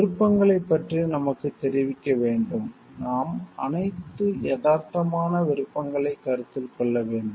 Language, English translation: Tamil, We need to get informed about the options; like, we need to consider all realistic options